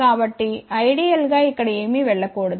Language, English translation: Telugu, So, ideally nothing should go over here